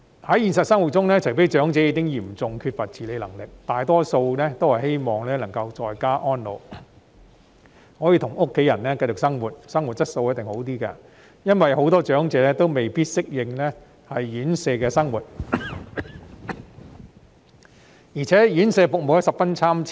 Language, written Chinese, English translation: Cantonese, 在現實生活中，除非長者已經嚴重缺乏自理能力，否則他們大多數也希望能夠在家安老，與家人繼續一起生活，生活質素也一定較好，因為很多長者未必適應院舍生活，而且院舍服務十分參差。, In reality except for those who are seriously lacking in self - care abilities most elderly persons wish to age at home and continue to live with their families . This will definitely give them a better quality of life because many elderly persons may not adapt to the life in residential care homes RCHs and the service quality of such homes varies considerably